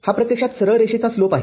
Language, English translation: Marathi, This is actually slope of this straight line